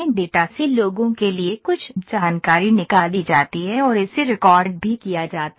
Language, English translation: Hindi, From the data some information is extracted for the people and that is also recorded